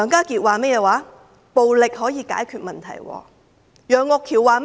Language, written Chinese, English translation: Cantonese, 他說暴力可以解決問題；楊岳橋議員說了甚麼呢？, He said violence can resolve problems . What did Alvin YEUNG say?